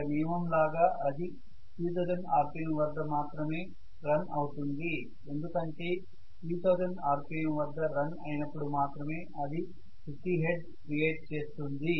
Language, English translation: Telugu, It will run as a rule at 3000 rpm because only if it runs at 3000 rpm it will create 50 hertz